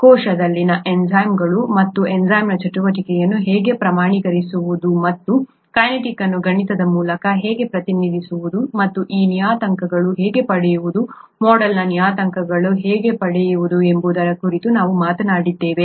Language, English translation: Kannada, We talked of enzymes in the cell and how to quantify the enzyme activity and how to get how to represent the kinetics mathematically and how to get those parameters, the model parameters